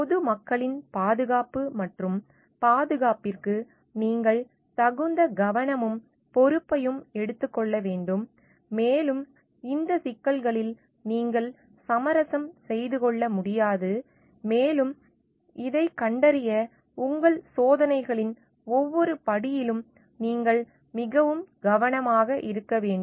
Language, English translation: Tamil, You need to take due care and responsibility for the safety and security of the public at large and you cannot compromise on these issues and you need to be extremely careful at each of the steps of your experiments to find out